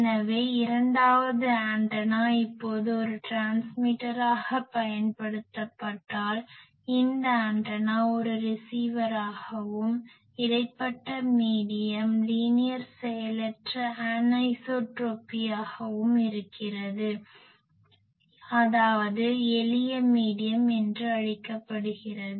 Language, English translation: Tamil, So, I say that if antenna two is now used as a transmitter, antenna this one as a receiver and the intervening medium is linear passive anisotropy that means, whatever is called simple medium